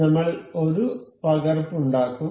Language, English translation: Malayalam, We will make a copy